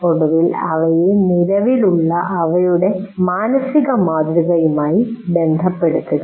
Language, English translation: Malayalam, And then finally relate them to their existing mental mode